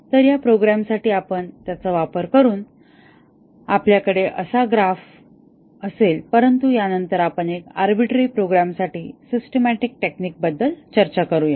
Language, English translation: Marathi, So, using that for this program, we will have a graph like this, but then let us discuss about systematic technique would given an arbitrary program